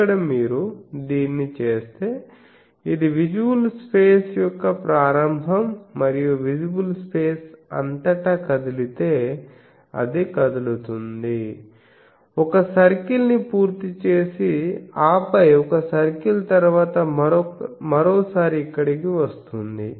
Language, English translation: Telugu, So, here actually if you do this that, so this is the start of visible space and throughout the visible space, if you moves, it moves completes one circle and then come one circle once then again come here